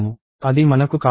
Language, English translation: Telugu, I want that